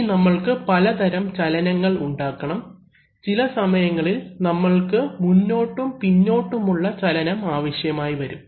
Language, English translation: Malayalam, Now we want to create motion in various ways, sometimes we want to create back and forth motion